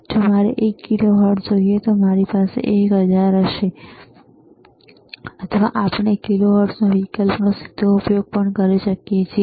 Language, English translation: Gujarati, If I want to have one kilohertz, then I will have 1 and then 3 times 000, or we can directly use kilohertz option also